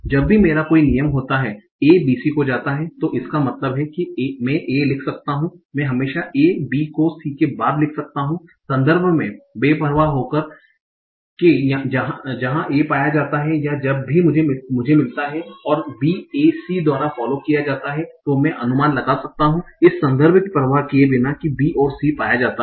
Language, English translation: Hindi, So, whenever I have a rule, A goes to B C, it means that I can write A, I can always drive from A B followed by C regardless of the context in which A is found or whenever I find a B followed by a C, I can infer a, regardless of the context in which B and C is found